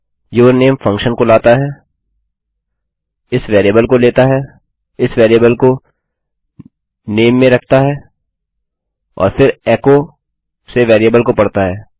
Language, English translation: Hindi, yourname calls the function, takes this variable into account, puts this variable into name and then reads the variable from echo